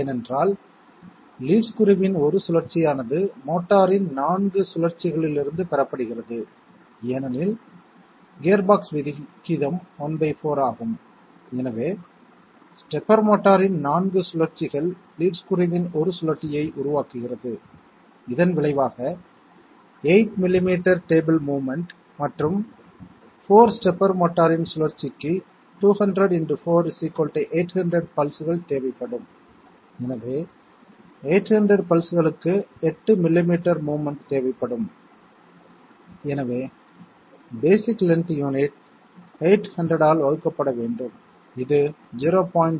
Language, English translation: Tamil, That is because one rotation of the lead screw is obtained from 4 rotations of the motor because the gearbox ratio is one fourth, so 4 rotations of the stepper motor produces 1 rotation of the lead screw resulting in 8 millimetres of table movement and 4 rotations of stepper motor will require 200 into 4 equal to 800 pulses, so 800 pulses giving 8 millimetres of movement, so that means the basic length unit must be 8 divided by 800 equal to 0